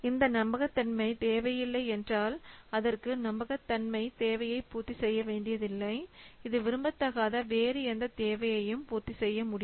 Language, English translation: Tamil, So if it does not require this reliability requirement, it does not have to meet a reliability requirement, it can meet any other requirement which is not desirable